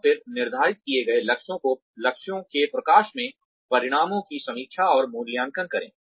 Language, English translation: Hindi, And then, review and appraise the results, in light of the targets, that have been set